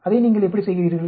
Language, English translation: Tamil, How do you do that